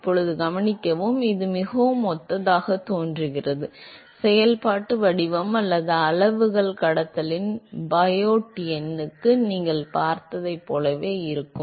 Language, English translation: Tamil, Now note that, it appears very similar, the functional form or the quantities look very similar to what you saw for the Biot number in conduction